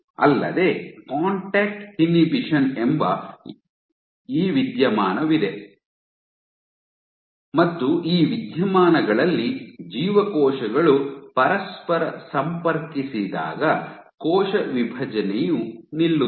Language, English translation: Kannada, Also, you have this phenomenon called Contact Inhibition and in this phenomena you have cell division ceases when cells contact each other